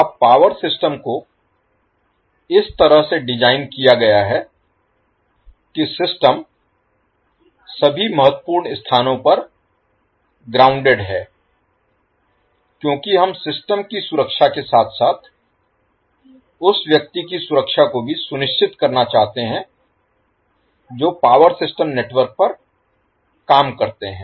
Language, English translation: Hindi, Now power system is designed in the way that the system is well grounded at all critical points why because we want to make ensure the safety of the system as well as the person who work on the power system network